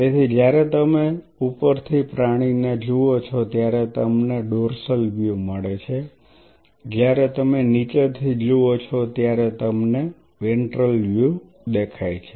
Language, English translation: Gujarati, So, when you see the animal from the top you get a dorsal view when you see from the bottom see for example, you are seeing the animal from the top, this gives you a dorsal view